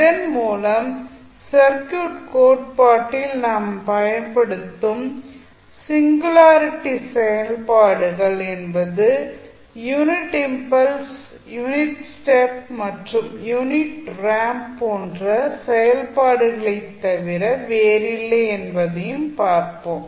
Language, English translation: Tamil, So, let us see that the singularity functions which we use in the circuit theory are nothing but the functions which are like unit impulse, unit step and unit ramp